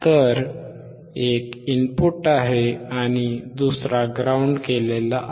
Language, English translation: Marathi, So, one is input another one is ground